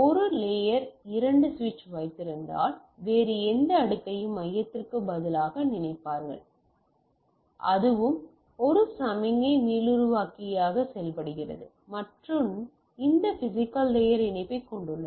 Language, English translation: Tamil, So, any other layer thinks like instead of the hub if I have a layer two switch, that also works as a signal regenerator and have this physical layer connectivity